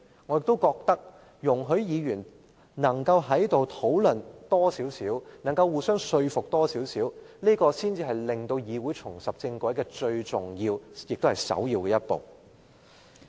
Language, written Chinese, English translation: Cantonese, 我認為議員應多作討論，並互相交流看法，這才是令議會重拾正軌最重要的一步。, I think that Members should discuss further and exchange views which is after all the most important step to get the Council back on the right track